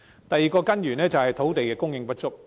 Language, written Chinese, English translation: Cantonese, 第二個根源，是土地供應不足。, The second root cause is insufficient land supply